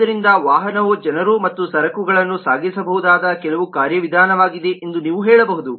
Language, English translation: Kannada, so vehicle is something, some mechanism by which people and goods can be transported